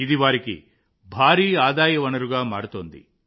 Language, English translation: Telugu, This is becoming a big source of income for them